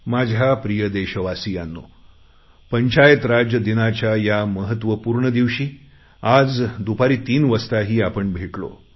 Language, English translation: Marathi, My dear fellow citizens, I will surely meet you all once in the evening on this important occasion of Panchayati Raj Divas today